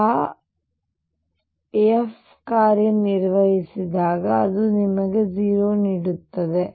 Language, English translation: Kannada, So, it when it operates on f it gives you 0